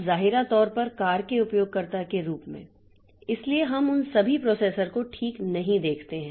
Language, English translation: Hindi, Now, apparently as a user of the car so we do not see all all those processors, okay